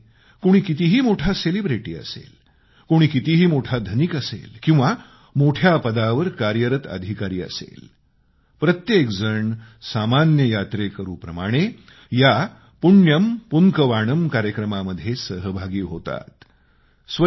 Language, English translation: Marathi, However big a celebrity be, or however rich one might be or however high an official be each one contributes as an ordinary devotee in this Punyan Poonkavanam programme and becomes a part of this cleanliness drive